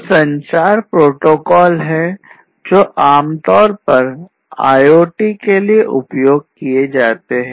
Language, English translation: Hindi, So, these are some of the communication protocols that are typically used for IoT